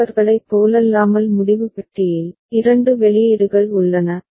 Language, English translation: Tamil, And unlike others decision box has two outputs